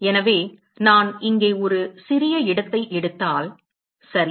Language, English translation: Tamil, So, if I take a small location here ok